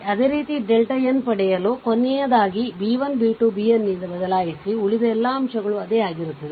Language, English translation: Kannada, Similarly, for the delta n the last one, the last one you replace by b 1, b 2 and b n, rest of the all a element will remain same